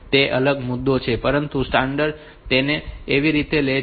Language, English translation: Gujarati, So, that is a different issue, but it is the standard takes it like that